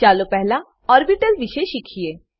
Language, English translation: Gujarati, Let us first learn about orbitals